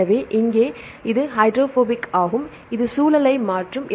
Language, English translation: Tamil, So, here this is hydrophobic this will change the environment